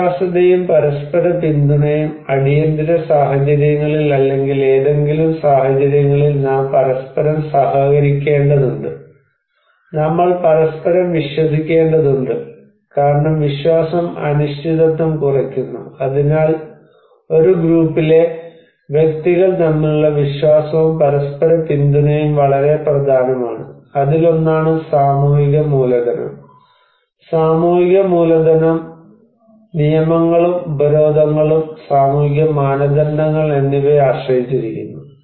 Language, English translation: Malayalam, And trust and mutual support, during emergency situations or any situations, we need to cooperate with each other and we need to trust each other because trust minimize the uncertainty so trust and mutual support between individuals in a group is very important and this is one of the social capital, and also it depends on the social capital, the rules and sanctions, social norms are there